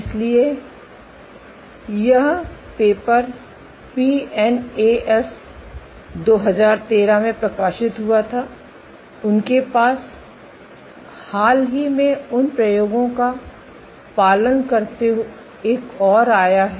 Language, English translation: Hindi, So, this paper was published in PNAS 2013, they have a more recent they have followed up on those experiments ok